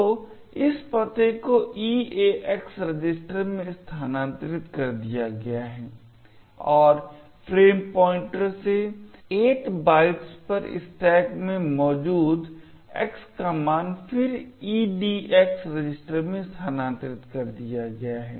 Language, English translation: Hindi, So, this address is then moved into the EAX register and the value of X present in the stack at a location 8 bytes from the frame pointer is then moved into the EDX register